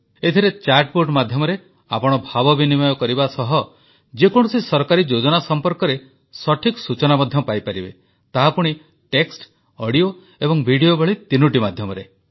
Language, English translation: Odia, In this you can interact through chat bot and can get right information about any government scheme that too through all the three ways text, audio and video